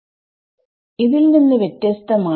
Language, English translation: Malayalam, k is different from k naught